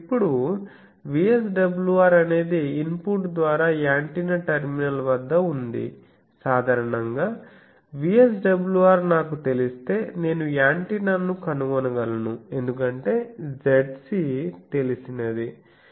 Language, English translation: Telugu, Now VSWR is the at the antenna terminal by input now generally in the a time actually you see that if I know VSWR I can find the antenna because the Zc is known